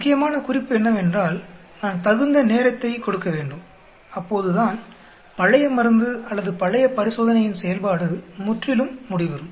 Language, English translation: Tamil, The important point is, I should give sufficient times so that the effect of the old drug or old treatment or old gets completely washed out